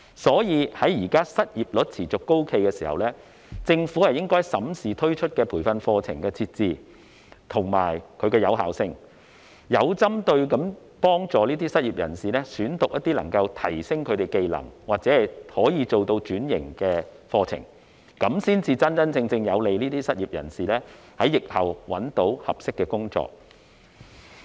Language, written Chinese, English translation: Cantonese, 所以，在現在失業率持續高企的時候，政府應該審視推出的培訓課程的設置及其有效性，有針對性地幫助失業人士選讀能夠提升技能或轉型的課程，有利於失業人士在疫後找到合適的工作。, For this reason when the unemployment rate remains high the Government should examine the set - up and effectiveness of training courses introduced and assist the unemployed in selecting courses that help them to upgrade their skills or switch occupations so as to facilitate the unemployed in landing a suitable job in the post - pandemic era